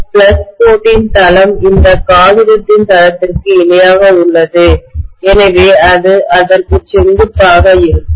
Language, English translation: Tamil, The plane of the flux line is parallel to the plane of this paper, so it will be perpendicular to that